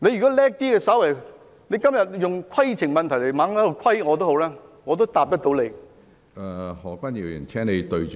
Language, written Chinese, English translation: Cantonese, 即使今天不停提出規程問題來"規"我，我也能夠回答你。, If you were a little more shrewd even if you keep raising points of order to challenge me today I can answer you